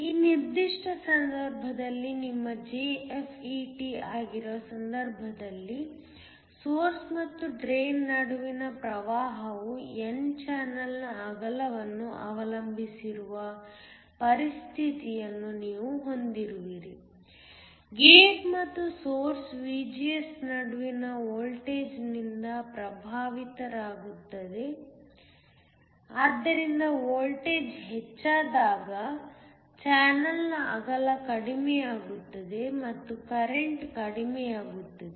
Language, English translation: Kannada, In this particular case, which is your JFET you have a situation where the current between the source and the drain is depends upon the width of the n channel is effected by the voltage between the gate and the source VGS, so higher that voltage smaller is the width of the channel and then lower is the current